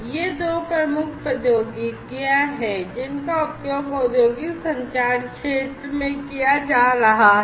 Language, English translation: Hindi, So, these are the two main technologies, that are being used in the industrial communication sector, so far